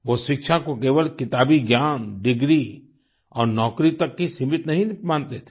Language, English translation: Hindi, He did not consider education to be limited only to bookish knowledge, degree and job